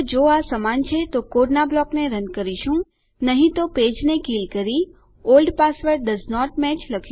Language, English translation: Gujarati, So, if they are equal then well run a block of code, otherwise well kill the page and say Old password doesnt match.